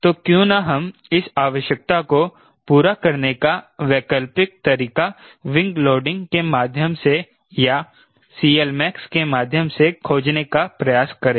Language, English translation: Hindi, we also try to find alternative way of meeting this requirement through wing loading or through c